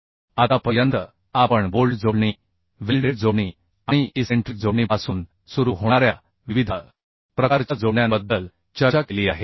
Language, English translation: Marathi, So far we have discussed about different type of connections, starting from bolted connections, welded connections and also eccentric connections